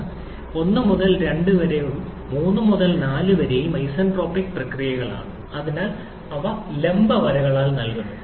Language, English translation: Malayalam, Look at this 1 to 2 and 3 to 4 are isentropic processes, so they are given by vertical lines